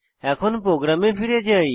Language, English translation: Bengali, Let us move back to our program